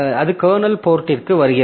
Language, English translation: Tamil, So that comes to the kernel port